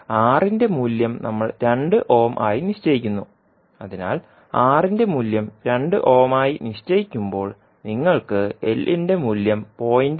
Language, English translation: Malayalam, So we fix the value of R as 2 ohm, so when you fix, when you fix the value of R as 2 ohm